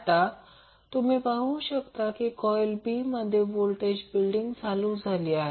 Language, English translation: Marathi, So, you will see now the voltage is started building up in B coil